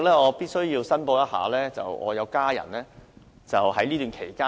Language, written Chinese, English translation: Cantonese, 我必須申報，我有家人在近期置業。, I would like to declare interest . My family member has recently acquired a property